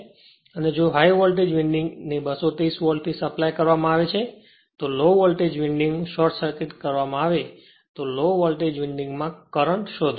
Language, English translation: Gujarati, And if the high voltage winding is supplied at 230 volt with low voltage winding short circuited find the current in the low voltage winding